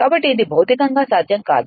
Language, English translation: Telugu, So, it is physically not possible